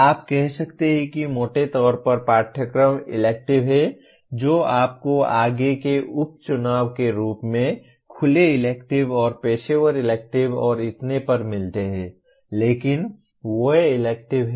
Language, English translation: Hindi, You can say broadly courses are maybe electives you further subdivide as open electives and professional electives and so on but they are electives